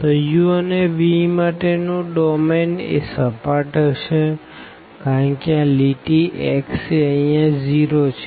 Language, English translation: Gujarati, So, the domain for u and v plain would be because line x is equal to 0 here